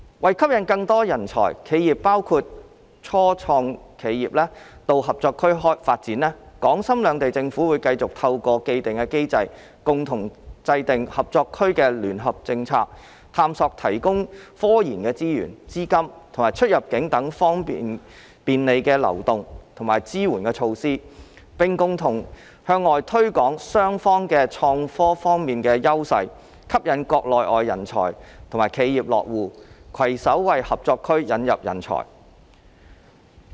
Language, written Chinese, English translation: Cantonese, 為吸引更多人才、企業到合作區發展，港深兩地政府會繼續透過既定機制，共同制訂合作區的聯合政策，探索提供科研資源、資金及出入境等方面的便利流動及支援措施，並共同向外推廣雙方在創科方面的優勢，吸引國內外人才和企業落戶，攜手為合作區引入人才。, To attract more talent and enterprises including start - ups to the Co - operation Zone the governments of Hong Kong and Shenzhen will continue through the established mechanism to formulate joint policy for the Co - operation Zone and explore to provide facilitation and supportive measures in the aspects of RD resources capital and immigration . Both sides will also join hands in promoting their advantages in IT with a view to attracting talent and enterprises from Mainland and overseas to the Co - operation Zone . Apart from developing HSITP in the Loop the Government has also reserved land for IT development